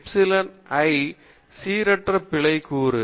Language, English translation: Tamil, Epsilon i is the random error component